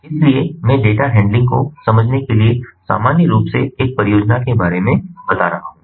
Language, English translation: Hindi, so i am talking about a project in general in order to understand data handling